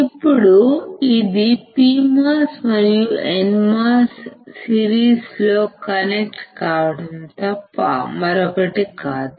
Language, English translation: Telugu, Now,, this is nothing but PMOS and NMOS connected, in series